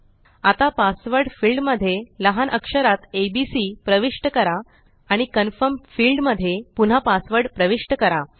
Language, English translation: Marathi, Now, in the Password field, lets enter abc, in the lower case, and re enter the password in the Confirm field